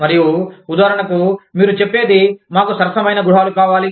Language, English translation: Telugu, And, for example, you say, we want affordable housing